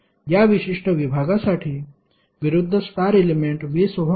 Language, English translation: Marathi, For this particular segment, the opposite star element is 20 ohm